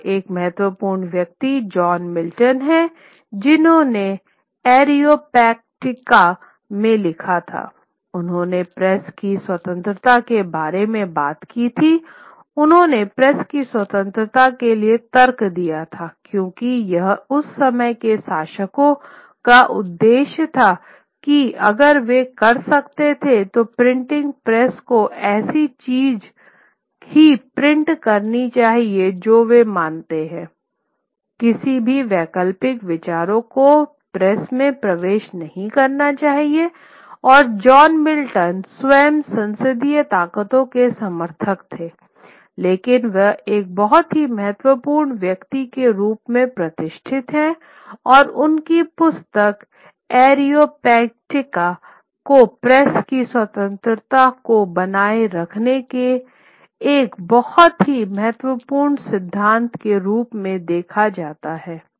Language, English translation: Hindi, And one of the important figures is john milton who who wrote in ariopagetita he he spoke about the freedom of press he argued for the freedom of press because it was always the aim of the rulers of those times that if they could they would have the printing press could should print only things that they believe in any alternative ideas should not enter into the press at all and that is something that John Milton himself was a parliament supporter of the parliamentary forces but he wrote he was a he a held up as a very important figure and his book Ariapagetic has looked upon as a very important tenet of the of the freedom upholding the freedom of the press